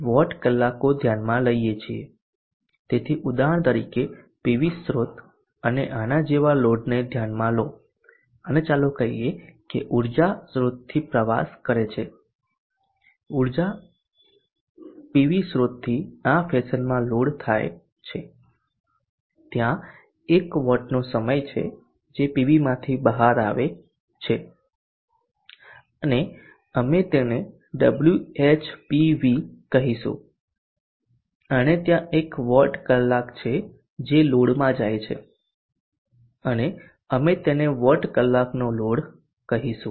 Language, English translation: Gujarati, So consider for example a PV source and a load like this and let us say energy travels from the source the PV source to the load in this fashion and there is a watt hours which is coming out of the PV and we will call it as Wh PV and there is a lot of us which is going into the load and we will call it what our load